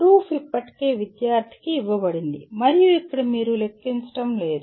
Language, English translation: Telugu, Proof is already given to the student and here you are not calculating